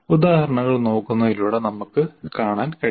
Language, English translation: Malayalam, Again, once again by looking at the examples, we'll be able to see